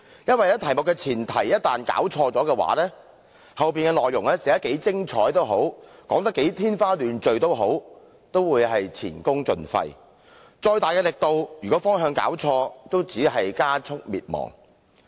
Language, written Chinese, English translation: Cantonese, 因為一旦弄錯題目的前提，無論內容寫得如何精彩，說得如何天花亂墜，也會前功盡廢；即使力度再大，如果弄錯方向，也只會加速滅亡。, If they do not understand the preamble correctly their efforts will be going down the drain no matter how brilliant or creative their answer is . Likewise if he gets the direction wrong no matter how hard he tries he will only be getting closer to his destruction